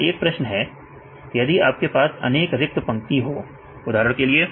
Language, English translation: Hindi, So, I have a question if you have several empty lines for example